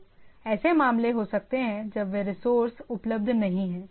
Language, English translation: Hindi, So, you may have some of the cases whether those resources are not there